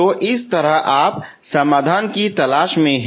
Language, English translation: Hindi, So that is how you are looking for solution